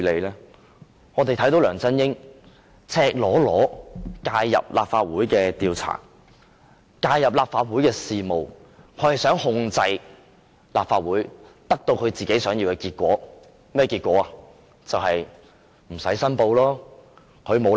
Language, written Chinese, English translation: Cantonese, 原因是梁振英赤裸裸地介入立法會的調查，介入立法會的事務，他想控制立法會，以獲得自己想要的結果。, The reason is that LEUNG Chun - ying has nakedly interfered with the inquiry and the affairs of the Legislative Council . He wanted to control the Legislative Council to get the result he wanted ie